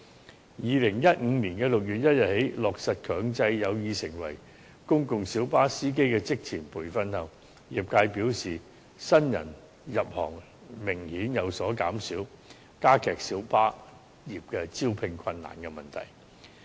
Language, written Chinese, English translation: Cantonese, 自2015年6月1日起強制有意成為公共小巴司機的人士須接受職前培訓後，業界表示新人入行明顯有所減少，加劇小巴業招聘困難的問題。, According to the trade since the introduction of a mandatory requirement of pre - employment training for those who aspire to becoming PLB drivers from 1 June 2015 there has been an obvious drop in the number of new comers joining the trade aggravating further the problem of recruitment difficulties of the minibus trade